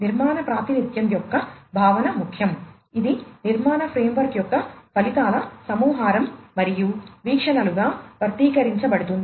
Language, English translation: Telugu, The concept of architectural representation is important; it is the collection of outcomes of architectural frame and are expressed as views